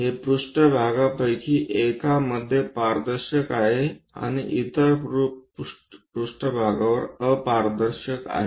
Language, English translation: Marathi, These are transparent in one of the planes and opaque on other planes